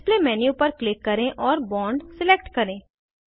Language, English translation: Hindi, Click on the Display menu and select Bond